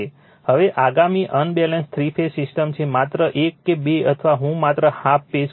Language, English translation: Gujarati, Now, next is unbalanced three phase system, just one or two or just half page I will tell you